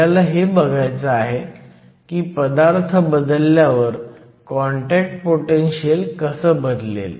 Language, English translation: Marathi, What we want to know is how the contact potential changes when we change the material